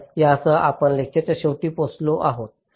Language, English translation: Marathi, so with this we come to the end of the lecture